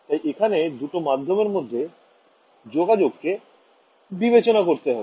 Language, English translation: Bengali, So for that we have to consider the interface between two media